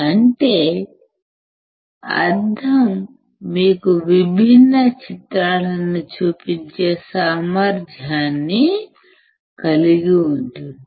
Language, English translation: Telugu, That means, the mirror has a capacity to show you different images